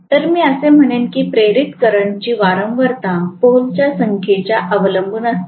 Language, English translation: Marathi, So, I would say the frequency of the induced current will depend upon the number of poles